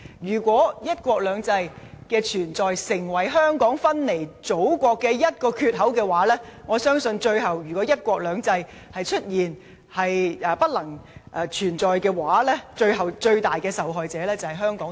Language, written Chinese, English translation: Cantonese, 如果"一國兩制"的存在成為香港分離祖國的一個缺口，我相信，最後倘若"一國兩制"不能繼續實施，最大的受害者將是香港和香港市民。, If the existence of one country two systems becomes a gap that separates Hong Kong from the Motherland I believe that if one country two systems can no longer be implemented the ones to suffer the greatest loss are Hong Kong and its people